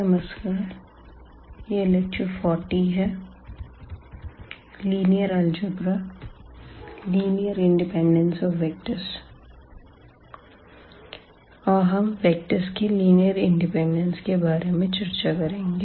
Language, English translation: Hindi, So, welcome back and this is lecture number 40, and we will be talking about the Linear Independence of Vectors